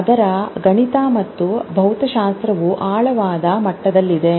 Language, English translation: Kannada, The mathematics and physics of it is at a deeper level